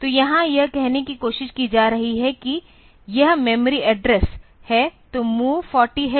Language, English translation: Hindi, So, here trying to say that this is the memory address; so, MOV 40 h 40 h comma A